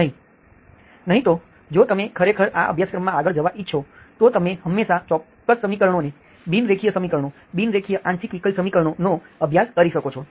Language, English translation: Gujarati, Otherwise what, if you really want to, further to this course, you can always look at certain equations, nonlinear equations, non linear partial differential equations you can study